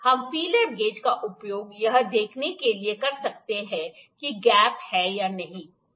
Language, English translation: Hindi, We can use the feeler gauge to see, if the gap is there or not